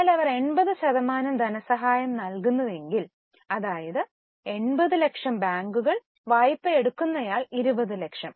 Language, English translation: Malayalam, But if they finance 80%, that means 80 lakhs banks will give, 20 lakh the borrower will give